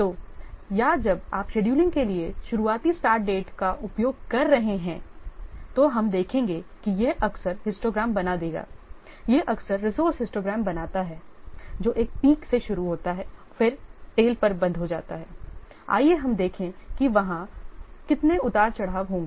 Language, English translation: Hindi, So, in case of when you are using the earliest start dates for scheduling, then we'll see it will frequently create the histograms, it frequently creates the resource histogram that start with a pick and then tell up, let's see how there will be so many what ups and downs will be there